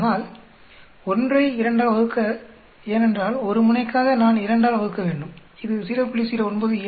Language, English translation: Tamil, So if I divide by 2 because for a one tail I have to divide by 2 it will come out to be 0